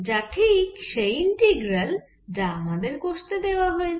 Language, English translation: Bengali, so this is nothing but the integral which we have to calculate